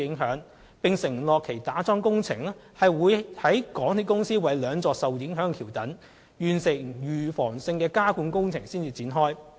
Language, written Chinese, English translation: Cantonese, 有關承建商並承諾會在港鐵公司為兩座受影響橋躉完成預防性加固工程後，才展開樁柱工程。, The contractor concerned has also undertaken to complete the preventive underpinning works for the two affected viaduct piers before resuming the piling works